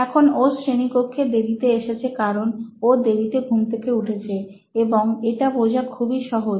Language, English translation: Bengali, Now he has come late to class because he is late to wake up, as simple as that